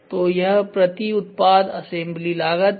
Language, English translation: Hindi, So, this is assembly cost per product ok